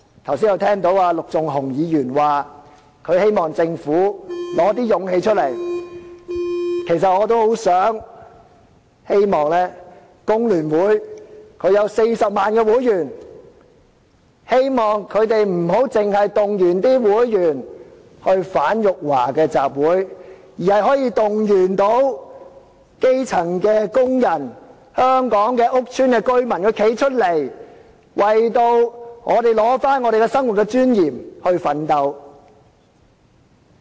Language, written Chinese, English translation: Cantonese, 我剛才聽到陸頌雄議員表示希望政府拿出勇氣，我也希望有40萬名會員的香港工會聯合會，不要只是動員會員參加反辱華的集會，而是動員基層工人、香港屋邨的居民站出來，為取回我們生活的尊嚴而奮鬥。, At hearing Mr LUK Chung - hungs earlier call on the Government to pluck up its courage I hope that the Hong Kong Federation of Trade Unions FTU with a membership of 400 000 will not only focus on mobilizing its members to take part in those anti - China - insulting assemblies but also call on grass - roots workers and residents of public housing estates to come forward to fight for and recover a life of dignity